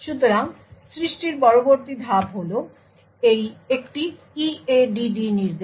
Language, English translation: Bengali, So, after creation is done the next step is an EADD instruction